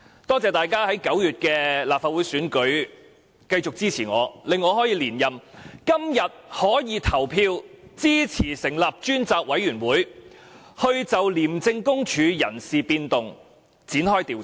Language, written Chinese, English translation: Cantonese, 感謝大家在9月的立法會選舉繼續支持我，令我可以連任，今天可在此投票支持成立專責委員會，就廉署的人事變動展開調查。, I have to thank my voters for supporting me again in the Legislative Council election held in September so that I was re - elected and may vote to support the motion moved today to appoint a select committee to inquire into the personnel reshuffle within ICAC